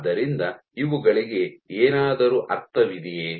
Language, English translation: Kannada, So, does these make any sense